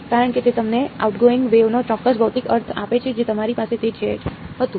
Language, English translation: Gujarati, Because it gave us a certain physical meaning of outgoing waves so that is what we had